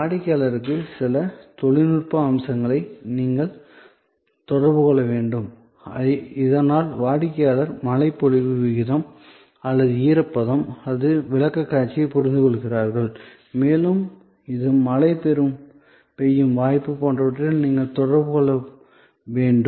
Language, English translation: Tamil, You will need to communicate to the customer certain technical aspects, so that the customer understands the by that presentation like precipitation rate or the humidity and it is relationship with possibility of rain, etc, those things you have to communicate